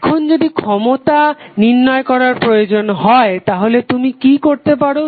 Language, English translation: Bengali, Now if you need to find out the value of power what you can do